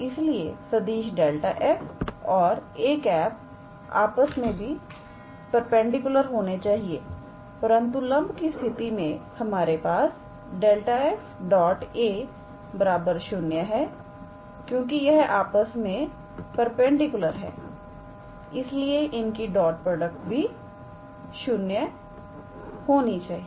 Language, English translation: Hindi, Therefore, the vectors gradient of f and a cap must be perpendicular to one another, but from the condition of perpendicularity, we have gradient of f dot a cap must be 0 because they are perpendicular to one another, their dot product must be 0